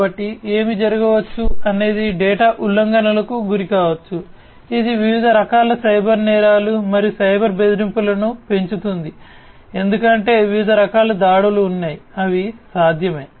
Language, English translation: Telugu, So, what might happen is one might incur data breaches, which increases different types of cyber crimes and cyber threats because there are different types of attacks, that are possible